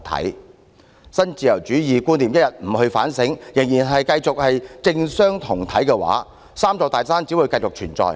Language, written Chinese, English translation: Cantonese, 如果一天不就新自由主義觀念進行反省，仍然繼續政商同體，"三座大山"只會繼續存在。, So long as we do not reflect on neoliberalism and perpetuate this amalgamation of business and politics the three big mountains will only continue to exist